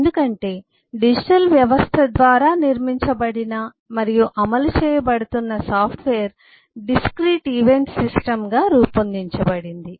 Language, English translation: Telugu, because the software being eh build and executed by a digital system is modeled as a discrete event system